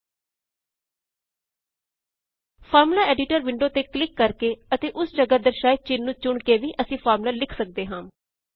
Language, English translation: Punjabi, We can also write a formula by right clicking on the Formula Editor window and selecting symbols here